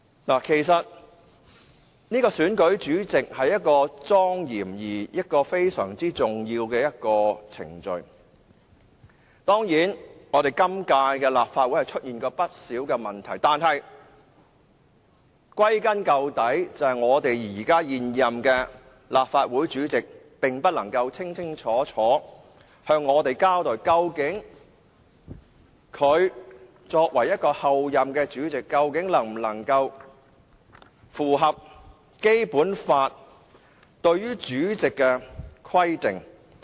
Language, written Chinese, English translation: Cantonese, 選舉立法會主席是莊嚴而非常重要的程序，當然，本屆立法會選舉立法會主席時出現過不少問題，但歸根究底，是現任立法會主席不能夠清清楚楚向我們交代，究竟作為候任立法會主席，他能否符合《基本法》對於立法會主席的規定。, The election of the President of the Legislative Council is a solemn and very important procedure . Certainly a number of problems have arisen in the election of the President of the Legislative Council in this session but the root cause of the problems was that the incumbent President of the Legislative Council did not clearly explain to us back then whether he met the requirements for the President of the Legislative Council provided in the Basic Law as a candidate in the election